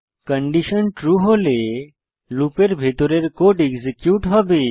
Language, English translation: Bengali, If the condition is true, the loop will get executed again